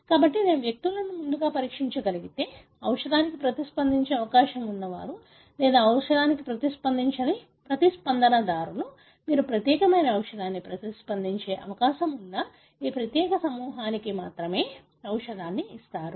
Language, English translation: Telugu, 1: So, if I can pre screen individuals as, responders who are likely to respond to a drug or non responders who will not respond to a drug, then you give the drug only to this particular group who are likely to respond to the drug